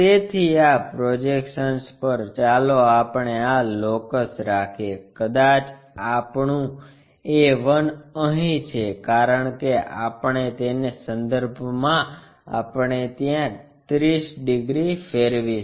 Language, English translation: Gujarati, So, on the projection let us have this locus, maybe our a 1 is here because about that we are going to rotate it by 30 degrees